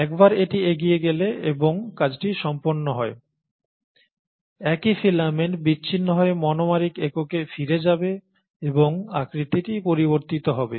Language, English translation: Bengali, And once it has moved forward and the work is done, the same filaments will disassemble back to the monomeric units and the shape will change